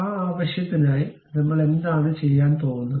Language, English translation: Malayalam, For that purpose, what I am going to do